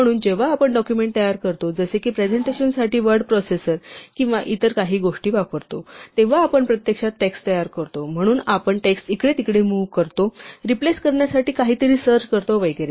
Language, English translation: Marathi, So, whenever we prepare a document, for example, using a word processor or some other things for presentation, then we are actually manipulating text; so we are moving text around, searching for something to replace and so on